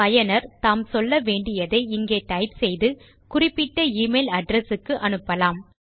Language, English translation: Tamil, The user can type in whatever they want to send to the email address that is specified here